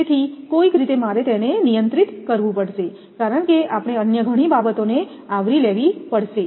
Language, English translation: Gujarati, So, somehow I have to restrict it compared to because we have to cover many other things